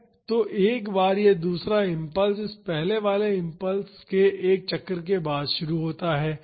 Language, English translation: Hindi, So, once this second is impulse starts after one cycle of this first impulse